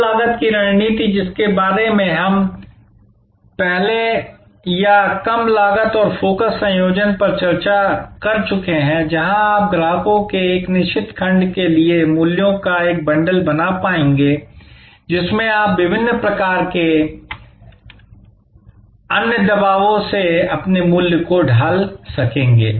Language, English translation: Hindi, The low cost strategy that we discussed earlier or low cost and focus combination, where you will be able to create a bundle of values for a certain segment of customers by virtual of which you will be able to shield your pricing from different types of other pressures